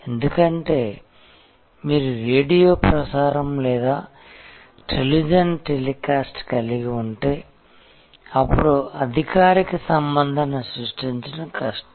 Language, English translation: Telugu, Because, if you are having a radio broadcast or a television telecast, then it is difficult to create formal relationship